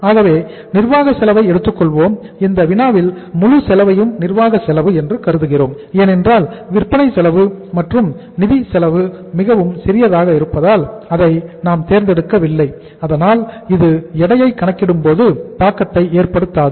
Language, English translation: Tamil, So uh administration we are taking and in this problem we are assuming that entire cost is the administrative cost maybe the selection of selling and the financial cost is very very small so which will not impact your say calculating the weights